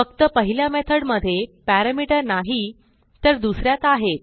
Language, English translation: Marathi, While the second method has parameters